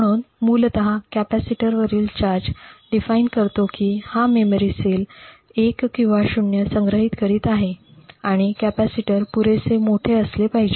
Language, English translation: Marathi, So essentially the charge of the capacitor defines whether this memory cell is storing a 1 or a 0 and capacitor must be large enough